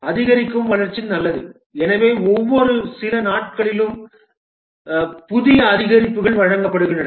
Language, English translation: Tamil, Incremental development is good, therefore every few days new increments are developed and delivered